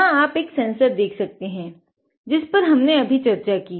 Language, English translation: Hindi, You can see here the sensor I have talked about ok